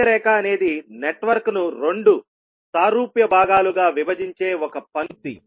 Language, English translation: Telugu, Center line would be a line that can be found that divides the network into two similar halves